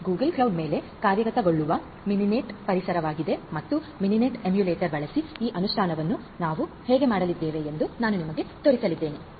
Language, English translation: Kannada, And this is the Mininet environment which is executed over this Google cloud and I am going to show you how we are going to have this implementation done using Mininet emulator